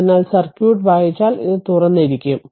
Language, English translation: Malayalam, So, if you read out the circuit, this is open